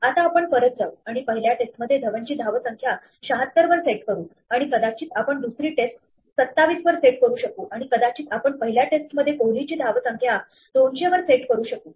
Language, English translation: Marathi, Now we can go back and set Dhawan's score in the first test to 76 and may be you can set the second test to 27 and maybe we can set KohliÕs score in the first test to 200